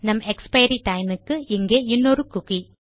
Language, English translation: Tamil, So for our expiry time Ill set another cookie in here